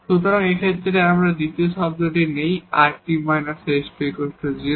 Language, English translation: Bengali, So, in this case there is no the second term here rt minus s square is 0